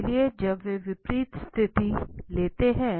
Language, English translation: Hindi, So when they take opposite positions